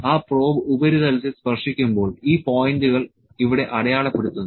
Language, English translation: Malayalam, When that probe is touching the surface this points are being marked here